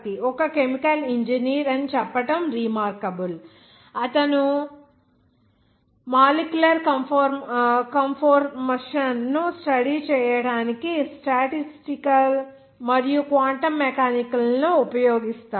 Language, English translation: Telugu, K Chakraborty is a chemical engineer who uses statistical and Quantum Mechanics to study molecular conformation